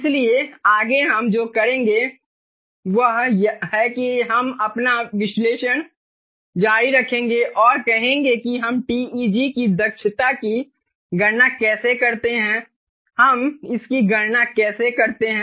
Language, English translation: Hindi, so next, what we will do is we will continue our analysis and say: how do we calculate the efficiency of ah, teg